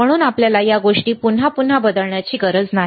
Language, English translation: Marathi, So, we do not have to alter these things again and again right